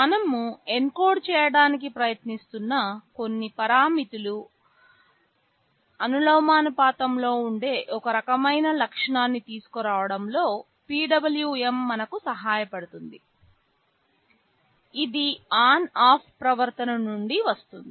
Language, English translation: Telugu, PWM helps us in bringing some kind of feature that is proportional to some parameter we are trying to encode, that comes from the ON OFF behavior